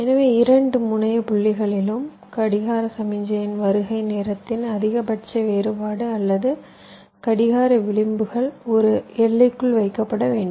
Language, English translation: Tamil, so across any two terminal points, the maximum difference in the arrival time of the clock signal or the clock edges should be kept within a limit